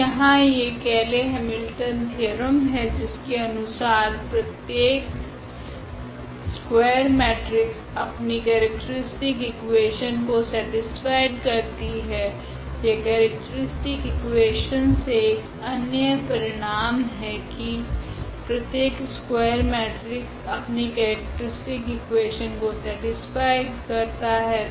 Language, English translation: Hindi, So, there is a Cayley Hamilton theorem which says that every square matrix satisfy its own characteristic equation, that is another result which directly coming from the characteristic equation that every square matrix satisfies its own characteristic equation